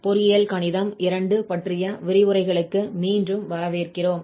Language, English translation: Tamil, So, welcome back to lectures on Engineering Mathematics II